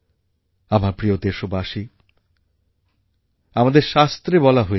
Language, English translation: Bengali, My dear countrymen, it has been told in our epics